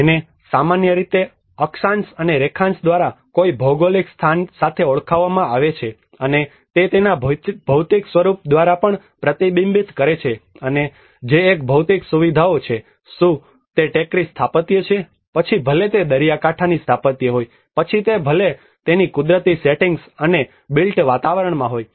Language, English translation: Gujarati, Which is normally referred with a geographical location by the Latitude and longitude, and it also reflects through its material form and which is a physical features, whether is a hill architecture, whether it is the coastal architecture, whether it is through its natural settings and the built environments